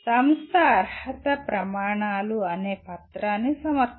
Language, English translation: Telugu, The institution submits a document called eligibility criteria